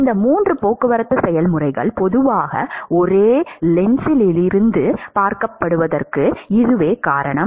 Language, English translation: Tamil, And in fact, it is that that is the reason why these 3 transport processes are usually looked at from the same lens